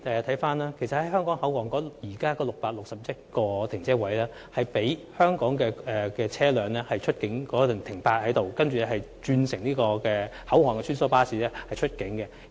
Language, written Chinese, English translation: Cantonese, 位於香港口岸的661個泊車位是供香港車輛在出境前停泊的，然後車主須轉乘口岸的穿梭巴士出境。, The 661 parking spaces at the Hong Kong Port will be used for the parking of Hong Kong vehicles before departure . Afterwards car owners must interchange for shuttle buses at the Hong Kong Port for departure